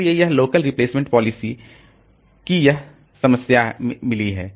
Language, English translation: Hindi, So, this local replacement policy, so it has got this problems